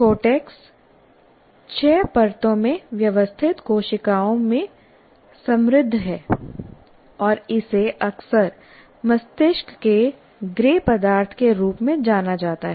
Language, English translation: Hindi, And the cortex is rich in cells arranged in six layers and is often referred to as a brain's gray matter